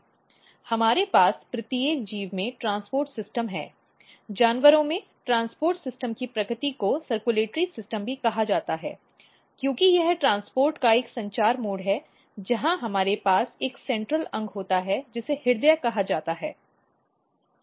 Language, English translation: Hindi, We also have transport system in every organism, in animals, the nature of transport systems also called circulatory system it is because there is a circulatory mode of transport where we have a central organ called heart